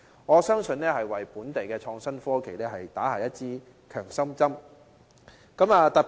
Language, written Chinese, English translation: Cantonese, 我相信這項發展會為本地的創新科技業，打下一支強心針。, I believe that this development project will give a boost to the local innovation and technology industry